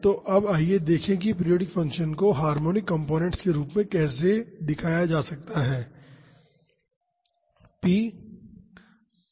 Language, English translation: Hindi, So, now, let us see how a periodic function can be represented in terms of harmonic components